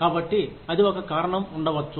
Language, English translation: Telugu, So, that might be a reason